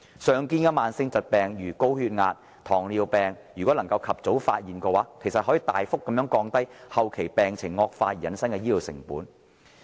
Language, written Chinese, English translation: Cantonese, 常見的慢性疾病，例如高血壓及糖尿病，如能及早發現，其實可大幅降低後期病情惡化而引致的醫療成本。, If commonly seen chronic diseases such as hypertension and diabetes mellitus are detected at an early stage the healthcare cost incurred as a result of deterioration at the latter stage can actually be reduced significantly